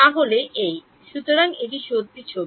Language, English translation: Bengali, So, this is; so this is the true picture